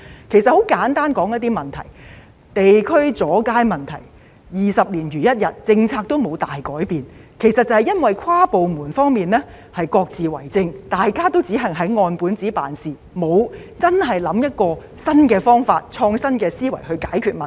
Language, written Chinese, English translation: Cantonese, 我很簡單的說一些問題，地區的阻街問題二十年如一日，政策都沒有大改變，其實都是因為跨部門之間各自為政，大家只按本子辦事，沒有真的以創新的思維想一個新的方法去解決問題。, Let me simply talk about some problems . The problem of street obstruction in various districts has persisted for two decades but the policy concerned just remains the same . This can be attributed to the lack of coordination among various departments and their tendency to do everything by the book without working out any new solution to the problems by innovative thinking